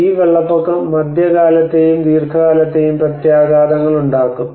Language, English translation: Malayalam, And this flood water will have both the mid term and the long term impacts